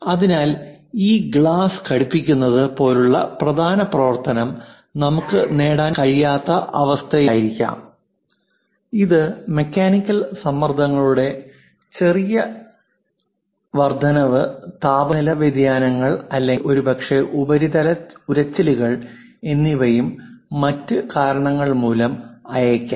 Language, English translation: Malayalam, So, the main functionality like fitting this glass inside that we may not be in a position to achieve, it a small increase in mechanical stresses perhaps temperature variations, or perhaps surface abrasions and other things